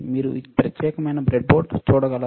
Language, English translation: Telugu, Can you see this particular breadboard